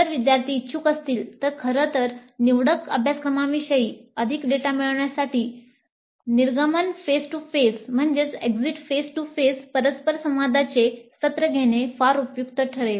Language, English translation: Marathi, If the students are willing in fact it may be very useful to have an exit face to face interaction session to get more data regarding the elective courses